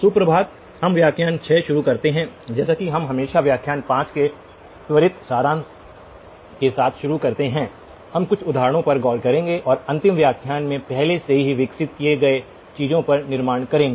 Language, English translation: Hindi, Good morning, we begin lecture 6 as always we begin with a quick summary of lecture 5, we will look at some examples and build on what we have already developed in the last lecture